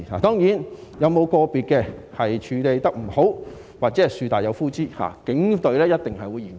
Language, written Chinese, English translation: Cantonese, 當然，有個別事件處理不當，或者"樹大有枯枝"，警隊一定會嚴查。, Of course as regard the mishandling of individual incidents or a black sheep in the entire force the Police Force will definitely carry out rigorous investigations